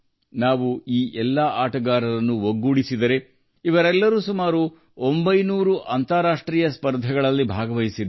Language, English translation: Kannada, If we take all the players together, then all of them have participated in nearly nine hundred international competitions